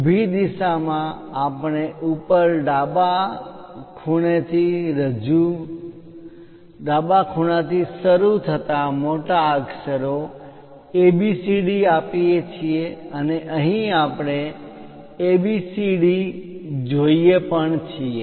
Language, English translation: Gujarati, In the vertical direction we give capital letters A B C D starting with top left corner and here also we see A B C and D